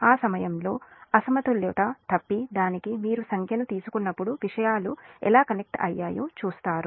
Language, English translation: Telugu, when you will take the numericals for unbalanced fault, at that time will see how things are connected